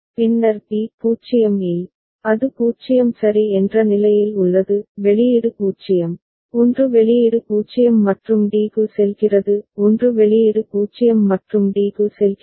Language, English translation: Tamil, Then b at 0, it is remaining at 0 ok; output is 0, 1 output is 0 and going to d; 1 output is 0 and going to d